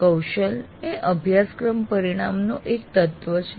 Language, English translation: Gujarati, A competency is an element of a course outcome